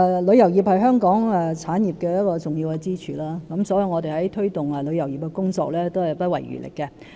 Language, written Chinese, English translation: Cantonese, 旅遊業是香港重要的支柱產業之一，因此我們在推動旅遊業的工作上也不遺餘力。, Tourism is one of the important pillar industries of Hong Kong . Therefore we spare no effort in promoting the tourism industry